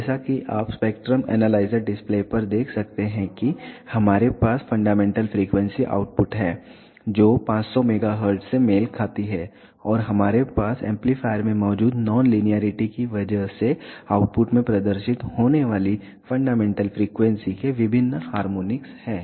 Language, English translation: Hindi, As you can observe on the spectrum analyzer display we have the fundamental frequency output which corresponds to 500 megahertz and we have different harmonics of the fundamental frequency appearing into the output because of the nonlinearity present in the amplifier